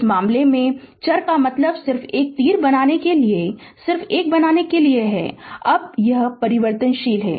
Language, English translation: Hindi, In this case, in this case, variable means just to make a just to make an just to make an arrow, now this is variable now